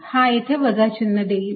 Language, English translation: Marathi, so this gave you a minus sign here